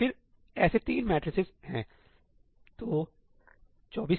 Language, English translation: Hindi, And then there are three such matrices so, 24K